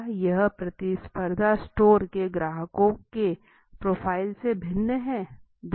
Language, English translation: Hindi, Does it differ from the profile of customers of competing stores